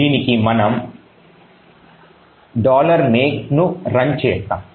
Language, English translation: Telugu, We do that by running make